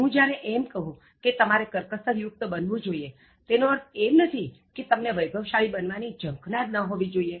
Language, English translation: Gujarati, When I say that you should be thrifty, I don’t mean to say that you should not have any aspirations to become wealthy